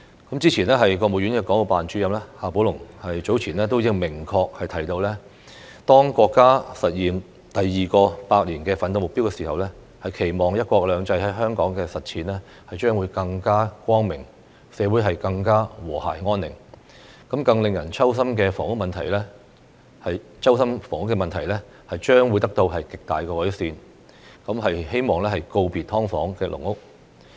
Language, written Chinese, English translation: Cantonese, 國務院港澳事務辦公室主任夏寶龍早前便明確提到，當國家實現第二個百年奮鬥目標的時候，期望"一國兩制"在香港的實踐將會更加光明，社會更和諧安寧，令人揪心的房屋問題將得到極大改善，希望可以告別"劏房"和"籠屋"。, Earlier on XIA Baolong Director of the Hong Kong and Macao Affairs Office of the State Council has expressly talked about the wish that when our country realizes the second centennial goal the implementation of the one country two systems principle in Hong Kong will be more successful and the society will be more harmonious . By then the heart - wrenching problem of housing will be greatly improved and it is hoped that Hong Kongs SDUs and caged homes will be eliminated . The goal of bidding farewell to SDUs is now clear